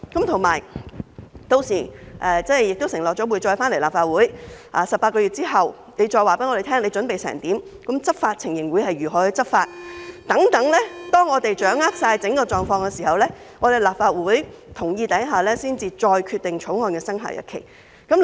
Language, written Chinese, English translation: Cantonese, 此外，當局已經承諾將來會再回來立法會，在18個月後，再告訴我們準備情況和如何執法等，待我們掌握整個狀況後，在得到立法會的同意下，再決定《條例草案》的生效日期。, Moreover the authorities have undertaken to return to the Legislative Council in future after the 18 - month period to brief us on the preparatory and law enforcement situation and so on . After we have grasped the whole situation and subject to the agreement of the Legislative Council a decision will be made on the commencement date of the Bill